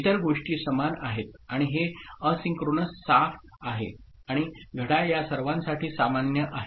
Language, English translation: Marathi, Other things are similar right and this is asynchronous clear and you know, and clock is common to all of them fine